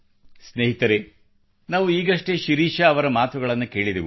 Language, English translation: Kannada, Friends, just now we heard Shirisha ji